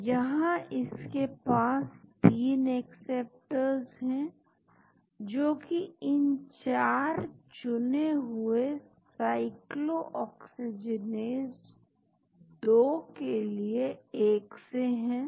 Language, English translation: Hindi, so, it has got 3 acceptors which are common to all these 4 selective cyclooxygenase 2